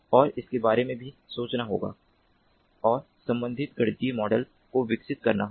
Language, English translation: Hindi, and corresponding mathematical models have to be developed